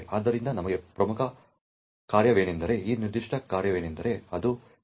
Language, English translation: Kannada, So, the important function for us is this particular function that is the TLS process heartbeat okay